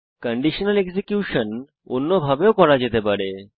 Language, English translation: Bengali, The conditional execution can also be done in another way